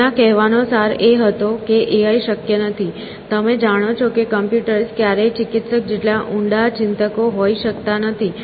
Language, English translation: Gujarati, He wanted say, in essence, that AI is not possible; that you know computers can never be as deep thinkers as the therapist can be essentially